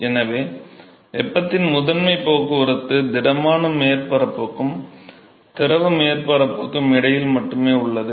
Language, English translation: Tamil, So, the primary transport of heat is only between the solid surface and the liquid surface